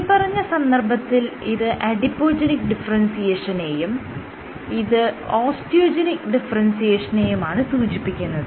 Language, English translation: Malayalam, So, this is Adipogenic differentiation and this is osteogenic differentiation